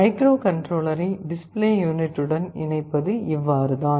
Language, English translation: Tamil, This is how you make the connection microcontroller to the display unit